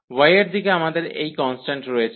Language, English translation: Bengali, In the direction of y, we have this constant